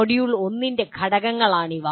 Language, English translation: Malayalam, These are the elements of module 1